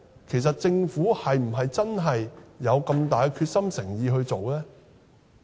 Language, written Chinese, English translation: Cantonese, 其實，政府是否真的有很大的決心和誠意去做呢？, Does the Government really has great determination and sincerity in doing this?